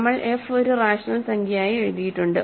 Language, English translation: Malayalam, So, we have written f as a rational number